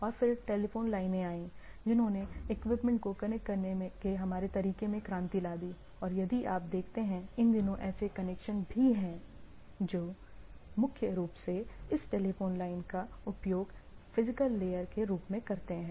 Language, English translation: Hindi, And in then came telephone lines which revolutionized our way of connecting things and if you see that our earlier network connection, these days also there are connections which piggyback on this primarily use this telephone line as a physical layer